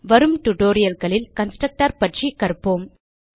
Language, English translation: Tamil, We will learn about constructor in the coming tutorials